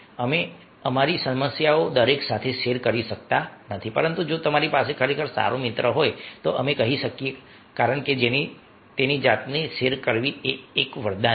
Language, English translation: Gujarati, we cannot share our problems with everybody, but if you are having really a good friend, we can say, because sharing its self is a boon